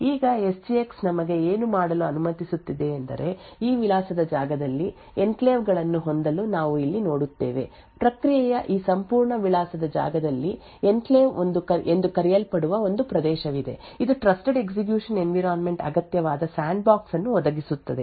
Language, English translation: Kannada, Now what SGX permits us to do is to have enclaves in this address space so what we see over here is that within this entire address space of the process there is one region which is called the enclave which provides the necessary sandbox to achieve the Trusted Execution Environment